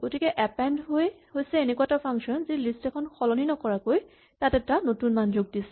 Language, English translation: Assamese, So, append is a function which extends a list with a new value without changing it